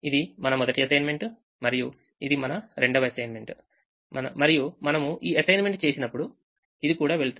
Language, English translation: Telugu, this was our first assignment and this is our second assignment and when we make this assignment this will also go